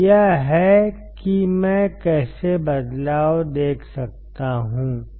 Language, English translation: Hindi, So, this is how I can see the change